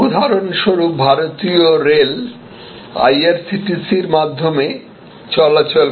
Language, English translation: Bengali, So, this is for example, Indian railway operating through IRCTC